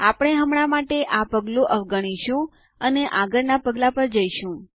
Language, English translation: Gujarati, We will skip this step for now, and go to the Next step